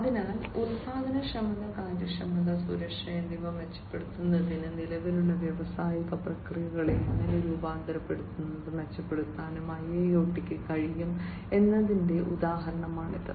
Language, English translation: Malayalam, So, this is the example of how IIoT can transform, and improve upon the existing industrial processes for improving the productivity and efficiency and safety, as well